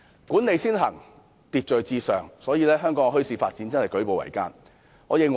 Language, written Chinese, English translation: Cantonese, "管理先行，秩序至上"，致令香港墟市發展舉步維艱。, The approach of management takes priority and public order matters most has hindered the development of bazaars